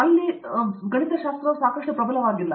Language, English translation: Kannada, There, what we feel is the mathematics is not strong enough